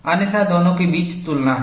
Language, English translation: Hindi, Otherwise, there is comparison between the two